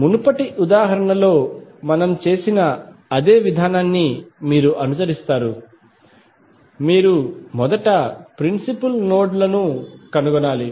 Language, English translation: Telugu, You will follow the same procedure what we did in the previous example, you have to first find out the principal nodes